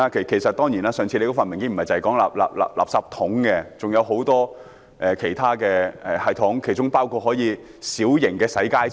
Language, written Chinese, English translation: Cantonese, 其實，我們上次看的文件不僅提及垃圾桶，還提到很多其他系統，包括小型洗街車。, Actually the paper that I read last time mentions not only the refuse bins but also many other systems including mini - mechanical sweepers